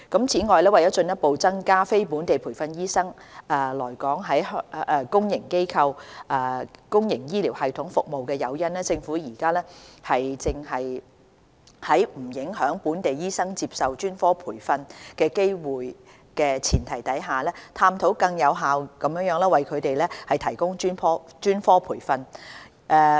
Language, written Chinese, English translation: Cantonese, 此外，為了進一步增加非本地培訓醫生來港在公營醫療系統服務的誘因，政府現正在不影響本地醫生接受專科培訓機會的前提下，探討更有效地為他們提供專科培訓。, To provide more incentive for non - locally trained doctors to serve in the public health care system in Hong Kong the Government is exploring more effective ways to provide specialist training for non - locally trained doctors without compromising specialist training opportunities for locally trained doctors